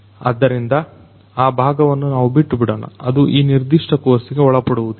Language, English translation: Kannada, So, that part we will leave out you know it is going to be out of the scope of this particular course